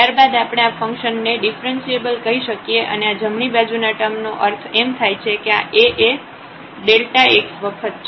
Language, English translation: Gujarati, Then we call that this function is differentiable and the first term on this right hand side; that means, this A times delta x